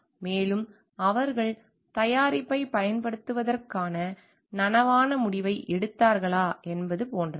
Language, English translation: Tamil, And more so like, whether they have taken a conscious decision of using the product